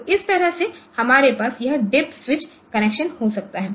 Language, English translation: Hindi, So, that way we can have this DIP switch connection